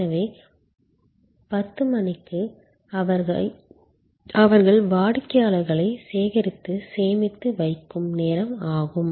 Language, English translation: Tamil, So, up to 10'o clock is a time when they will gather customer's and store them